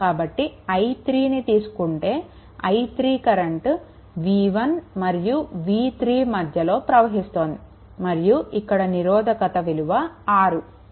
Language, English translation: Telugu, So, if you take i 3 i 3 I 3 will be v 1 minus v 3 and this resistance is 6